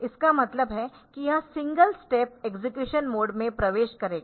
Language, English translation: Hindi, So, this means that it will be it will be entering into the single step execution mode